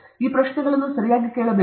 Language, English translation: Kannada, You should ask these questions okay